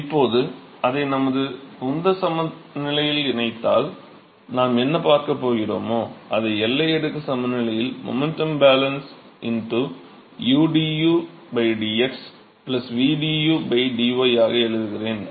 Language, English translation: Tamil, So, now, if we incorporate that into our momentum balance so, what we will see we incorporate that into the momentum balance into udu by dx, plus vdu by dy and now I am writing the momentum balance in the boundary layer